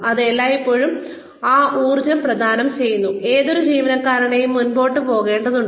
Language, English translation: Malayalam, It always provides that energy, that any employee needs to move forward